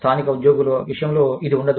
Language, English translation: Telugu, Which will not be the case, with local employees